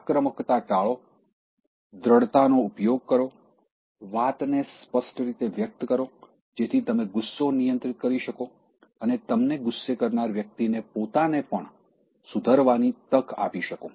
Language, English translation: Gujarati, Avoid aggression, use assertiveness, express things plainly, so that you can manage anger and give chance for the person who triggered your anger, to correct herself or himself also